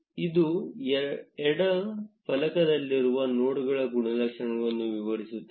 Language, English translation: Kannada, This will elaborate the properties of the nodes in the left panel